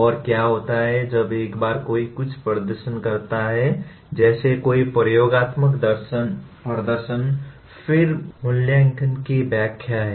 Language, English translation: Hindi, And what happens once somebody perform something like performs an experiment then evaluation is interpretation of assessment